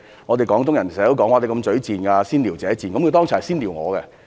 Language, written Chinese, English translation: Cantonese, 我們廣東人經常說人"嘴賤"、"先撩者賤"，他剛才是先"撩"我。, We Guangdong people often say that some people are loud - mouthed and those who provoke others first are ignoble . He was the one who provoked me first a short while ago